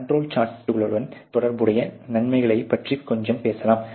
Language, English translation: Tamil, Let us talk a little bit about the benefits which are associated with the control charts